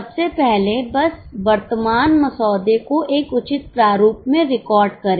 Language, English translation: Hindi, Firstly, just record the current draft in a proper format